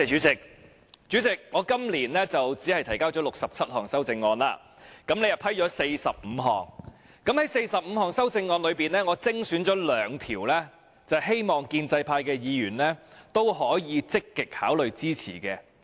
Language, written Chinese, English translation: Cantonese, 主席，我今年提交了67項修正案，你批准了45項，在這45項修正案中，我精選了兩項，希望建制派議員可以積極考慮支持。, Chairman I have submitted 67 amendments this year and you have approved 45 of them . In these 45 amendments I have selected two which I hope Members of the pro - establishment camp can actively consider rendering support